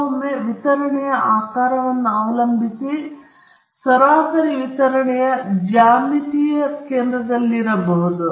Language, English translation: Kannada, Sometimes, depending upon the shape of the distribution, the mean may be at the geometric center of the distribution